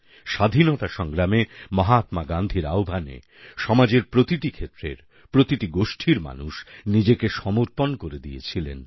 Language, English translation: Bengali, During the Freedom Struggle people from all sections and all regions dedicated themselves at Mahatma Gandhi's call